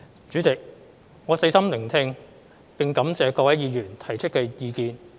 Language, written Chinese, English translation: Cantonese, 主席，我細心聆聽並感謝各位議員提出的意見。, President I have listened attentively to Honourable Members views and would like to thank them